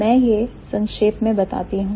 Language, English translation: Hindi, So, let me summarize